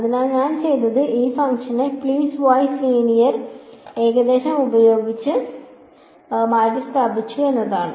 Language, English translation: Malayalam, So, what I have done is I have replaced this function by piece wise linear approximation